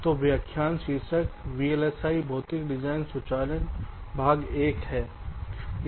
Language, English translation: Hindi, so the lecture title: vlsi physical design automation, part one